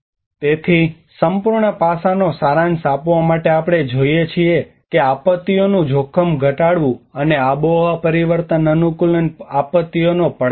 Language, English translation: Gujarati, So to summarise whole aspect we see that differences and challenges we have disaster risk reduction and the climate change adaptation